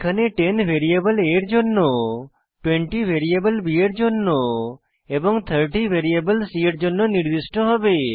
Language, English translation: Bengali, Here, 10 will be assigned to variable a 20 will be assigned to variable b 30 will be assigned to variable c The right hand side acts as an array